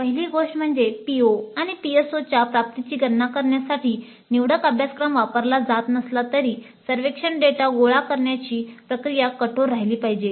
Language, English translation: Marathi, First thing is that even though the elective courses are not being used to compute the attainment of POs and PSOs the process of collecting survey data must remain rigorous